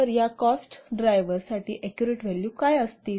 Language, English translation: Marathi, So what will the exact values for these cost drivers